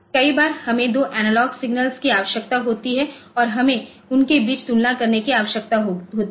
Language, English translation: Hindi, So, many times we need to oh have two analog signals and we need to compare between them